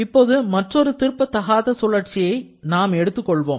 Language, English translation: Tamil, Now, we consider another cycle which is actually an irreversible cycle